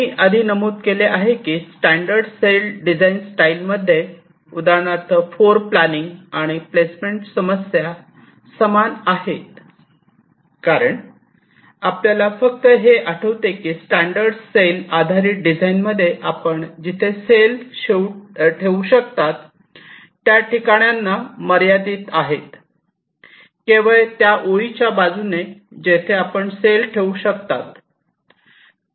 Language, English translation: Marathi, i mentioned earlier that in the standard cell design style, for instance, the floorplanning and placement problems are the same, because you just recall that in a standard cell based design the places where you can put a cell are limited